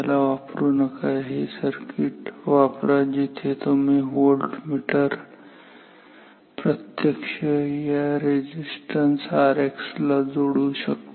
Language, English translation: Marathi, Do not use it rather use this circuit where you can connect a voltmeter directly across this resistance R X